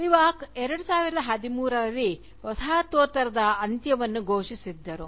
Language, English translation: Kannada, So, and Spivak was announcing the death of Postcolonialism, in 2013